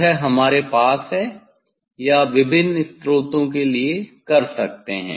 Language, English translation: Hindi, he we have to or for different source you can use